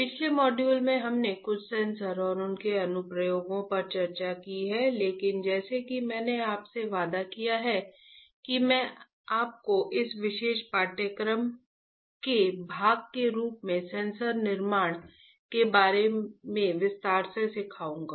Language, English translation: Hindi, Last module we have discussed few of the Sensors and their application right, but as I have promised you, that I will teach you each sensor fabrication in detail in the few of the modules right, as a part of this particular course